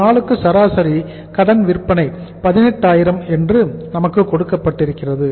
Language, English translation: Tamil, Average credit sales per day which is given to us is 18000